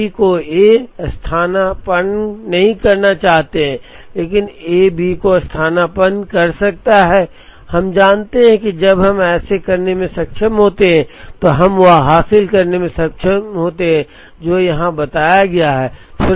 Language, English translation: Hindi, While we may not want B to substitute A, but A can substitute B, we know that, when if we are able to do this then we are able to achieve what has been told here